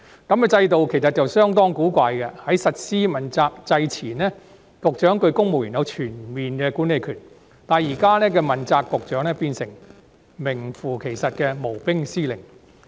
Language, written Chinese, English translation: Cantonese, 這種制度其實相當古怪，在實施問責制前，局長對公務員有全面管理權，但現時的問責局長卻變成名副其實的無兵司令。, This system is actually quite awkward in the sense that before the implementation of the accountability system a Bureau Director had full management authority over the civil servants under him whereas Bureau Directors under the existing accountability system have literally become commanders without any soldiers